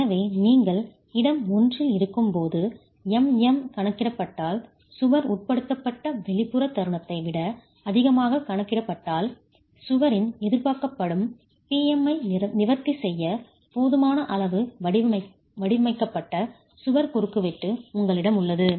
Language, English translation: Tamil, So, if MM calculated when you are in region 1 calculated thus is greater than the external moment that the wall is subjected to, then you have a wall cross section that is designed sufficiently to address the PM expected on the wall